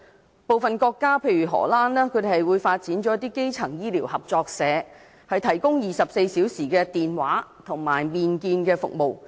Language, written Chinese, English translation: Cantonese, 在部分國家，例如荷蘭，便發展了基層醫療合作社，提供24小時的電話和面見服務。, In some countries for example the Netherlands primary health care cooperatives were developed to provide 24 - hour telephone and face - to - face services